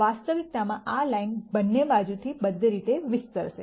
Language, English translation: Gujarati, In reality this line would extend all the way on both sides